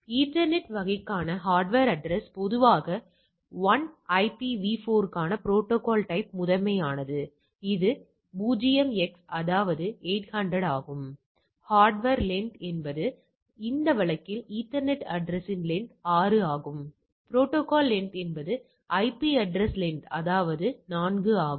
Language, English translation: Tamil, So, hardware address for ethernet type it is typically the value is 1, protocol type for IPv4 which is predominant thing is 0x that is 800, hardware length is the length of the ethernet address in this case 6, protocol length is the length of the IP address which is 4 all right